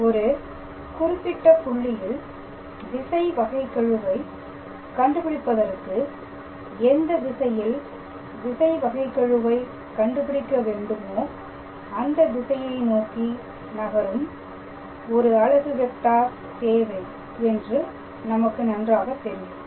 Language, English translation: Tamil, So, as we know we always have to calculate the directional derivative at a certain point and at the same time we also need to have a unit vector towards in the direction of which we will calculate the directional derivative